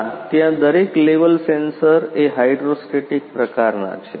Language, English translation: Gujarati, No for each and every each and every level sensors are of hydrostatic types